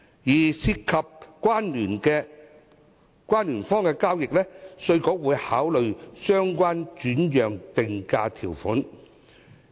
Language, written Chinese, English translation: Cantonese, 至於涉及關聯方的交易，稅務局會考慮相關的轉讓定價條款。, In case a transaction involves two related parties IRD will take into account the relevant transfer pricing provisions